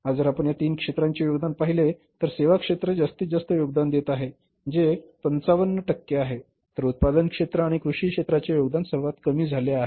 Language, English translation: Marathi, So, because of the service based industry today if you see the contribution of these three sectors, services sector is contributing maximum which is more than 55 percent then is the manufacturing sector and the contribution of the say the agriculture has become lowest